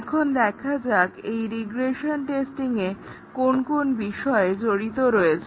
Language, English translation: Bengali, Let us see, what is involved in regression testing